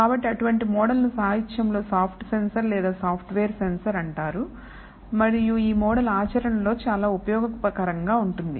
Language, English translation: Telugu, So, such a model is also known in the literature as a soft sensor or the software sensor and this model is very useful in practice